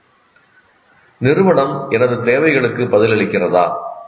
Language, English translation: Tamil, Are they responsive to my needs